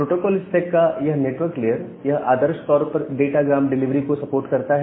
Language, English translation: Hindi, So, this network layer of the protocol stack ideally it supports this datagram delivery